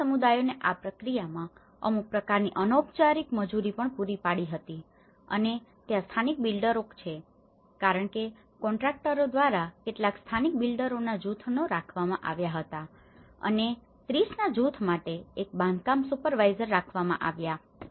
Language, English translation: Gujarati, The communities they also provided some kind of informal the unskilled labour at this process and the local builders because for a group of the some of the local builders were hired by the contractors and the construction supervisors for every group of 30 so, you have one supervisor who is looking at it